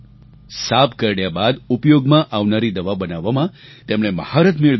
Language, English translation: Gujarati, She has mastery in synthesizing medicines used for treatment of snake bites